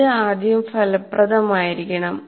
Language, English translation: Malayalam, It should be effective first